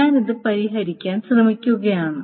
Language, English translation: Malayalam, I am just trying to solve this